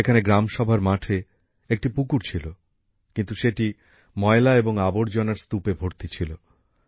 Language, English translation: Bengali, There was a pond on the land of the Gram Sabha, but it was full of filth and heaps of garbage